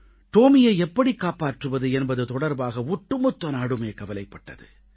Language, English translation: Tamil, The whole country was concerned about saving Tomy